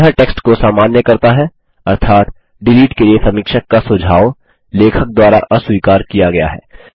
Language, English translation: Hindi, This makes the text normal, ie the suggestion of the reviewer to delete, has been rejected by the author